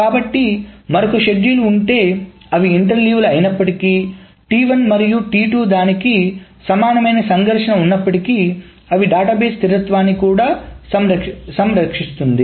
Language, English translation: Telugu, So if there is another schedule which even though it interleaves T1 and T2 is conflict equivalent to it, then it also preserves the database consistency